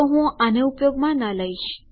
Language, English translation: Gujarati, So I dont recommend using this